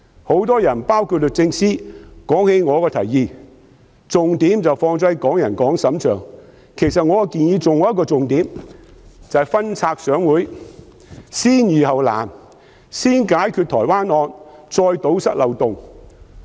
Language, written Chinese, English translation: Cantonese, 很多人——包括律政司司長——提及我的提議時，均把重點放在"港人港審"上，其實我的建議還有一個重點，就是"分拆上會，先易後難"，先解決台灣謀殺案的問題，再堵塞漏洞。, When many people―including the Secretary for Justice―mentioned my proposal they all focused on the suggestion that Hongkongers should be tried by Hong Kong courts . In fact there is another key point in my proposal which is introducing the amendments by batches and resolving the simple issues before the difficult ones . We should settle the problems concerning the murder case in Taiwan first and then plug the loopholes later on